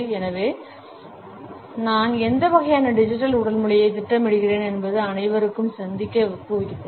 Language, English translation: Tamil, So, I had encouraged everyone to think about, what type of digital body language am I projecting